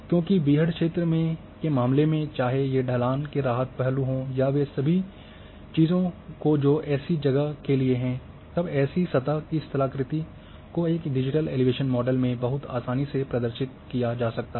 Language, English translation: Hindi, So because, in the case of rugged whether you will have slope relief aspects and all those things where there, and topography of a surface can be represented very easily in a digital elevation model